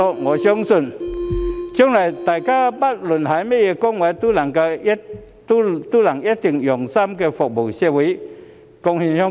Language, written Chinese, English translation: Cantonese, 我相信，將來大家不論擔當甚麼崗位，都一定會用心服務社會，貢獻香港。, I believe in the days ahead they will definitely continue to serve the community wholeheartedly and contribute to Hong Kong regardless of their positions